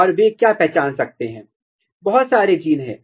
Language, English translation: Hindi, And what they can identify, there are lot of genes